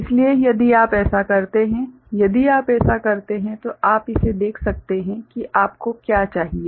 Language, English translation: Hindi, So, if you do that; if you do that ok, then what you can see this is what you require